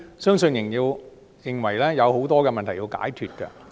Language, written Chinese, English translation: Cantonese, 相信仍有很多問題有待解決。, I believe many problems are yet to be solved